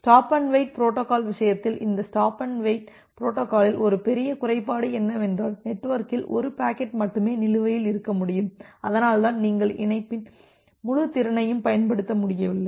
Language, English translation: Tamil, And there we have see that this stop and wait protocol in case of stop and wait protocol, one major disadvantage is that, you can have only 1 packet outstanding in the network and that is why you are not able to utilize the full capacity of the link